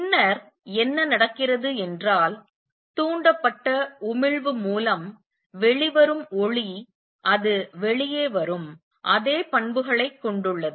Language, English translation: Tamil, And what happens then is the light which comes out through stimulated emission has exactly the same properties that makes it come out